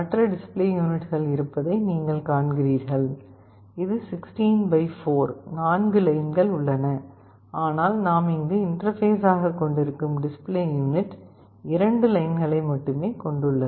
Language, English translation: Tamil, You see there are other display units, which is 16 by 4, there are 4 lines, but the display unit that we are interfacing here consists of only 2 lines